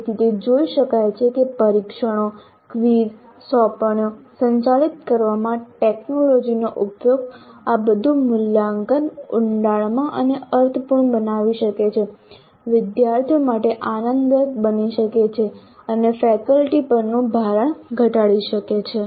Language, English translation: Gujarati, So it can be seen that the use of technology in administering test, quiz assignments all this can make the assessment both deeper and meaningful, enjoyable to the students and reduce the burden on the faculty